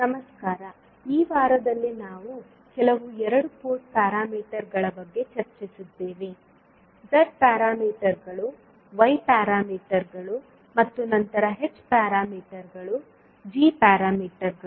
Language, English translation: Kannada, Namaskar, so in this week we discussed about few two Port parameters precisely Z parameters, Y parameters and then H parameters, G parameters